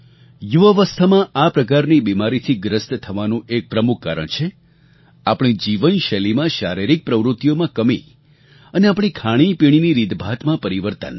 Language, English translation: Gujarati, ' One of the main reasons for being afflicted with such diseases at a young age is the lack of physical activity in our lifestyle and the changes in our eating habits